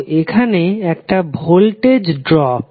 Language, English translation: Bengali, So here it is a voltage drop